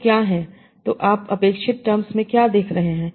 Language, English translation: Hindi, So what are the, so what you are seeing in these, in these experimental terms